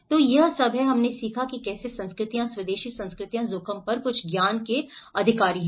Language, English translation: Hindi, So this is all, we have learned how cultures, indigenous cultures do possess some knowledge on the risk